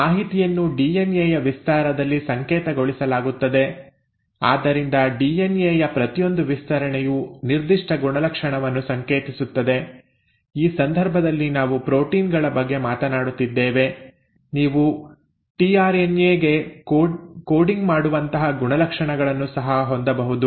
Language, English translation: Kannada, So that information is coded in a stretch of DNA, so each stretch of DNA which codes for a particular trait; in this case we are talking about proteins, you can also have traits like, which are coding for the tRNA itself